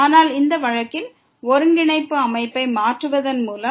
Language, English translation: Tamil, But in this case by changing the coordinate system